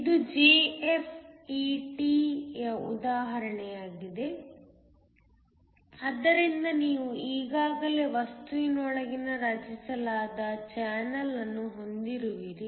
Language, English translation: Kannada, This is an example of a JFET, so where you already have a channel that is created within the material